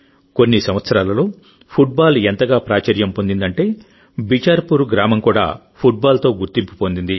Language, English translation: Telugu, Within a few years, football became so popular that Bicharpur village itself was identified with football